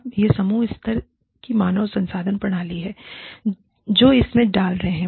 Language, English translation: Hindi, Now, this is the team level HR systems, that are feeding into this